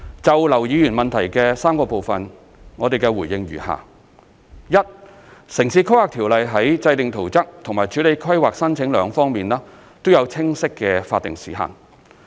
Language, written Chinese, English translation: Cantonese, 就劉議員主體質詢的3個部分，我的答覆如下：一《條例》在制訂圖則和處理規劃申請兩方面，均有清晰的法定時限。, My response to the three sections of the main question raised by Mr LAU is as follows 1 The Ordinance provides clear statutory time limits for both plan - making and processing of planning application